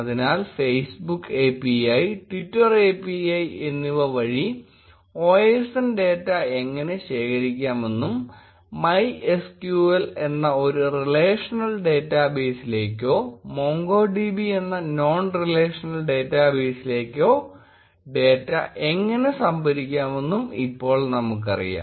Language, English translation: Malayalam, So, now we know how to collect OSN data via Facebook API, Twitter API and store the data either into a relational database that is MySQL or a non relational database that is MongoDB